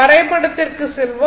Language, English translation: Tamil, Let us go to the diagram